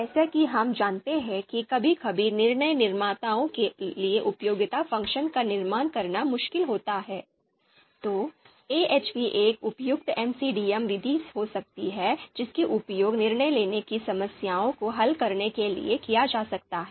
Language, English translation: Hindi, So as we know that you know MAUT method if sometimes it is difficult for decision makers to construct utility function, then AHP could be a suitable MCDM method that can be used to solve decision making problems